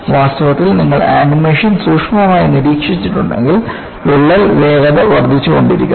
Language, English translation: Malayalam, In fact, if you have closely looked at the animation, the crack speed was increasing